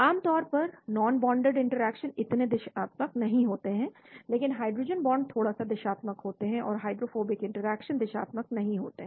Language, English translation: Hindi, Generally, non bonded interactions are not so directional, but hydrogen bonds are little bit directional and hydrophobic interactions are not directional